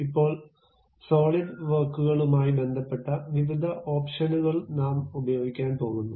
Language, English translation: Malayalam, Now, we are going to use variety of options involved with Solidworks